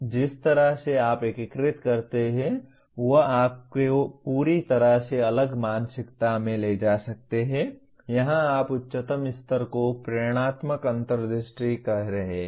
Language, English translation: Hindi, Now the way you integrate may lead you to a completely different mindset, here what you are calling the highest level as inspirational insight